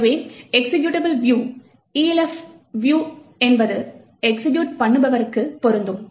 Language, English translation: Tamil, So, the executable view is applicable for Elf executables